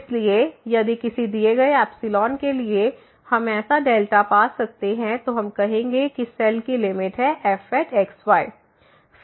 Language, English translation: Hindi, So, if for a given epsilon, we can find such a delta, then we will call that the cell is the limit of